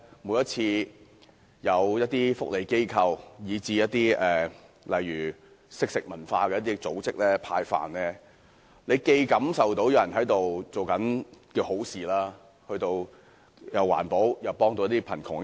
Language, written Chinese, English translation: Cantonese, 每當有福利機構，如"惜食堂"等組織派飯時，大家或會感受到有人在做善事，既環保又可幫助貧窮人口。, Whenever voluntary organizations like the Food Angel arrange giveaway meals people may feel that they are showing kindness and helping the poor